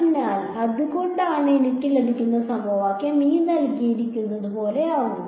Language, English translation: Malayalam, So, that is why, so this is the equation that I get